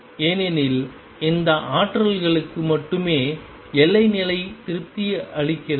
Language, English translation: Tamil, Because only for those energy is the boundary condition is satisfied